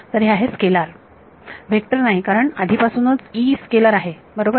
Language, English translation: Marathi, So, it is a scalar, it is not a vector because the already because E x is a scalar right